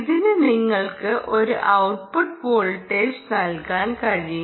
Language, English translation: Malayalam, it can give you and output voltage, ok, ah